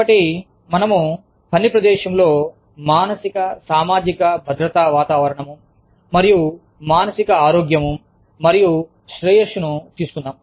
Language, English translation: Telugu, So, let us get to the, psychosocial safety climate, and psychological health and well being, in the workplace